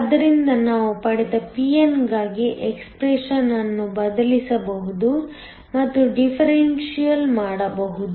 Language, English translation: Kannada, So, we can substitute the expression for p n that we got and do the differential